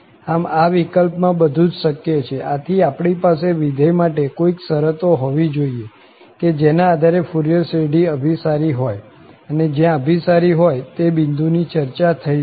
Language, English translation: Gujarati, So, everything is possible in this case, so then we should have some conditions on the function under which the Fourier series converges and converges to what value that also has to be discussed